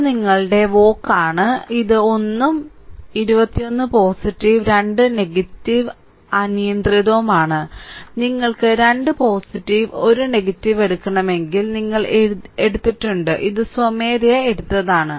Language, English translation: Malayalam, It is your V oc right this is 1 and 2 1 is positive 2 is negative arbitrary, you have we have taken if you want you can take 2 positive 1 negative, it does not matter arbitrary it has been taken right